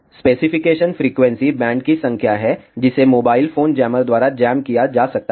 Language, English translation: Hindi, The specifications are number of frequency bands that can be jammed by a mobile phone jammer